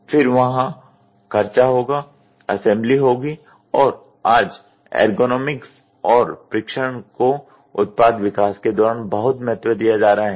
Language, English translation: Hindi, Then, there will be cost, there will be assembly and today, there is lot of importance given while product development itself for ergonomics and testing